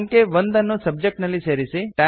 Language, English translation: Kannada, Add the number 1 in the Subject